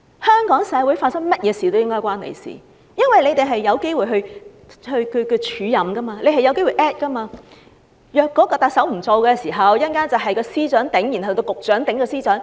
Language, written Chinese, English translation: Cantonese, 香港社會發生甚麼事都理應與他有關，因為他們有機會署任，假如特首辭任，便會由司長署任，然後由局長署任司長。, Anything happening in Hong Kong should rightly be relevant to him because he may be given an acting appointment . If the Chief Executive resigns the Secretaries will take up the acting appointment and then the Directors will take up appointment as acting Secretaries